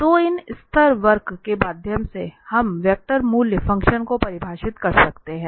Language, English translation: Hindi, So through these level curves, we can define the vector valued functions